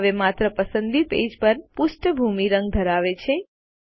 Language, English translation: Gujarati, Now only the selected page has a background color